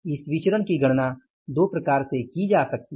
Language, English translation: Hindi, Now this variance can also be calculated in two ways